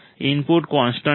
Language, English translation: Gujarati, The input is constant